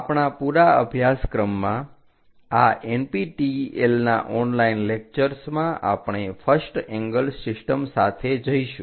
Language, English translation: Gujarati, In our entire course, for these NPTEL online lectures, we go with first angle system